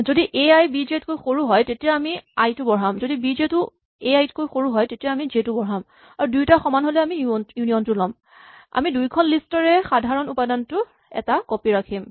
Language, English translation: Assamese, So, if A i is less than B j we increment i, if B j is less than A i, we increment j and if they are equal we will take union, we keep one copy of the common element